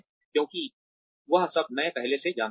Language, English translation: Hindi, Because, I already know, all that